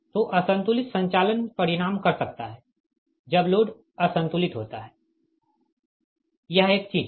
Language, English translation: Hindi, so unbalanced operation can result when loads are unbalanced